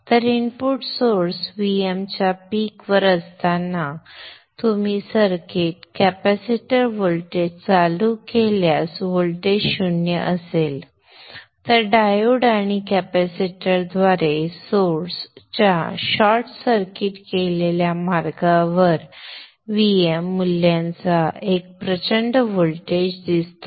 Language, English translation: Marathi, So when the input source is at its peak VM, you turn on the circuit, capacitor voltage is zero, a huge voltage of VM value is seen across the short circuited path of the source through the diode and the capacitor